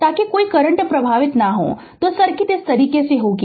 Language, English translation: Hindi, So, that no current will flow so circuit will be like this